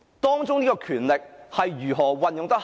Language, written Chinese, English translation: Cantonese, 當中的權力是如何恰當地運用呢？, How was the power involved exercised appropriately?